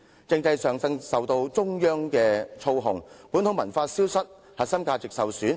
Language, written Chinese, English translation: Cantonese, "另一方面，香港政制為中央所操控，以致本土文化逐漸消失，核心價值受損。, On the other hand the control of Hong Kongs political system by the Central Authorities has resulted in a gradual disappearance of local culture and core values being undermined